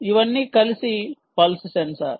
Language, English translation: Telugu, this is related to the pulse sensor